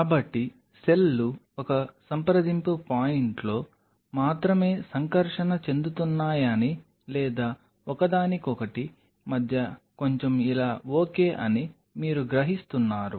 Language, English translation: Telugu, So, you are realizing that cells are only interacting at one point of contact or maybe a little bit between each other being close to each other like this ok